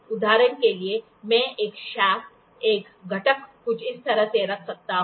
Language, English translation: Hindi, For example, I can put a shaft, a component something like this